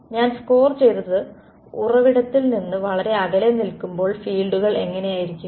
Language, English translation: Malayalam, And when I score stands far away from the source what do the fields look like